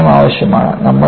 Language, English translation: Malayalam, That humility is needed